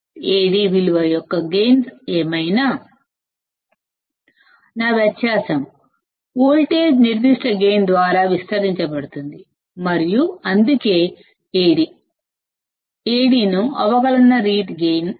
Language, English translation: Telugu, Whatever is the gain of value of Ad; my difference voltage would be amplified by that particular gain and that is why Ad is called the differential mode gain